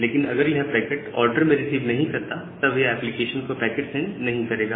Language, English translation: Hindi, But if it does not receives in order packet, then it will not send the packet to the application